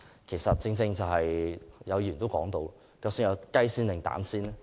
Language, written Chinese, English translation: Cantonese, 其實正如議員所言，究竟先有雞還是先有蛋呢？, In fact as asked by Members did the chicken or the egg come first?